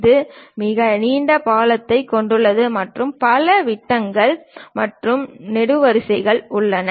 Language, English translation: Tamil, It contains a very long bridge and many beams and columns are there